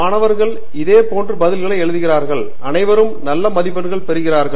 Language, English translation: Tamil, So that is the key and you write similar answers and you all get good marks